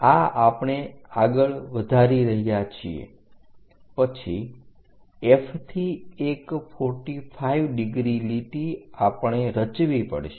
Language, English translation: Gujarati, So, we have to construct through F draw a line at 45 degrees